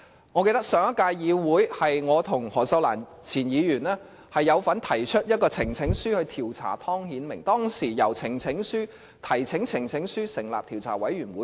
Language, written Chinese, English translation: Cantonese, 我記得在上屆議會，我和前議員何秀蘭有份提出呈請書調查湯顯明，當時應該是第一次提交呈請書以成立調查委員會。, I remember that in the previous term of the legislature former Member Cyd HO and I participated in the presentation of a petition calling for an inquiry into Timothy TONG . That was probably the first time of presenting a petition for the purpose of setting up a select committee